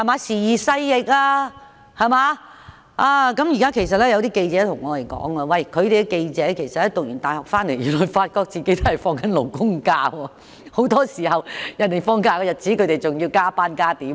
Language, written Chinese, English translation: Cantonese, 時移勢易，現在有些記者對我們說，大學畢業後才發覺自己是按勞工假期休假，很多時候人們放假，自己還要加班。, The times have changed and some reporters have told us that they only learn upon graduation that they take labour holidays meaning that very often they have to go to work when others are taking general holidays